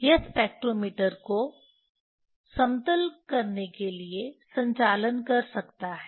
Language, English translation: Hindi, it can operations for leveling the spectrometer